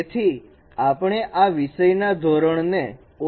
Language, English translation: Gujarati, So we are minimizing the norm of this subject to this